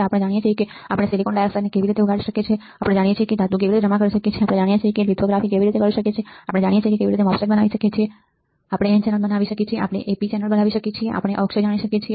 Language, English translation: Gujarati, We know how we can grow silicon dioxide, we know how we can deposit a metal, we know how we can do lithography, we know how a MOSFET is fabricated, we can fabricate n channel, we can fabricate a p channel, we know the depletion MOSFET